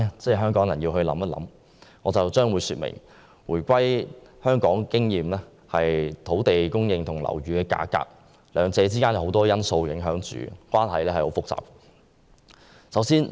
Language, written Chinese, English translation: Cantonese, 接下來，我將會說明，根據香港回歸後的經驗，土地供應和樓宇價格兩者之間的關係受很多因素影響，相當複雜。, As indicated from the experience after the reunification the relationship between land supply and property prices is affected by many factors and the situation is quite complicated